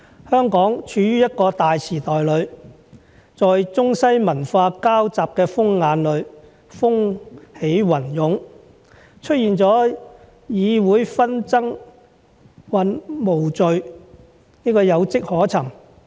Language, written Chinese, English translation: Cantonese, 香港處於一個大時代裏，在中西文化交集的風眼裏風起雲湧，出現了議會紛爭無序有跡可尋。, Hong Kong has been in a turbulent era . It has been in the centre of a whirlwind where the forces of the Eastern and Western cultures interacted . The disputes and disorderly behaviours that took place in this Council were something expected